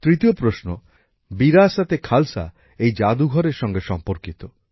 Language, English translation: Bengali, The third question 'VirasateKhalsa' is related to this museum